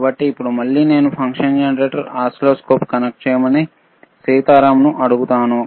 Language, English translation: Telugu, So now again, I will ask, sSitaram to please connect the function generator to the oscilloscope can you please do that, all right